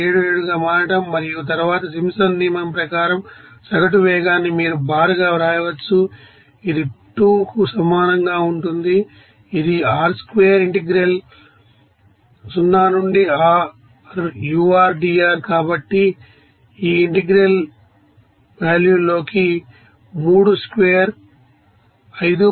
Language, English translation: Telugu, 77 and then average velocity as per Simpsons rule can be written as you bar that will be is equal to 2 by r square integrate 0 to r, ur dr, so it will be coming as 2yr is given to you that is 3 square into this integral value is 5